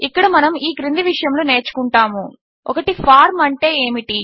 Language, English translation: Telugu, Here, we will learn the following: What is a form